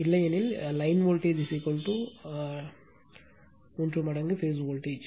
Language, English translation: Tamil, Otherwise line voltage is equal to root 3 times phase voltage